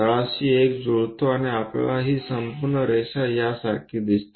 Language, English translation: Marathi, Bottom one coincides and we see this entire line as this one